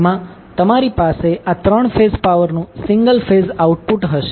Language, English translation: Gujarati, So, in houses you will have single phase output of this 3 phase power